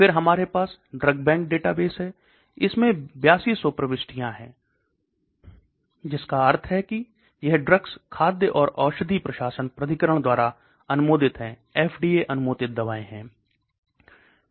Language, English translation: Hindi, Then we have the drug bank database, there are 8200 entries in that, that means drugs which are approved by the food and drug administration authority, that is FDA approved drugs